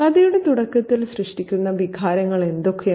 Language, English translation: Malayalam, What are the feelings that are created at the beginning of this story